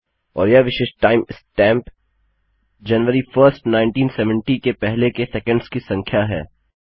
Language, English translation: Hindi, And the unique time stamp is the number of seconds before January the 1st 1970